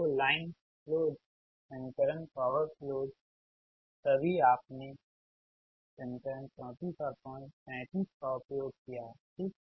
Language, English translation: Hindi, so line flows, equation, power flows, all the you have using equation thirty four and thirty five, right